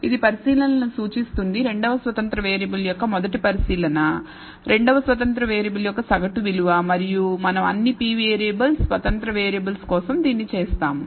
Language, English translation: Telugu, So, this one represents the observation the first observation of the second independent variable minus the mean value of the second independent variable and we do this for all p variables independent variables